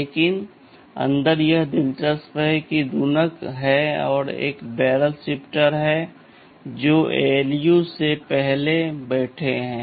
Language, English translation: Hindi, But inside this is interesting, there is a multiplier, there is a barrel shifter which that are sitting before the ALU